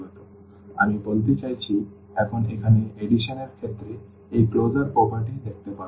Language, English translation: Bengali, So, how this is I mean now one can see this closure property with respect to the addition here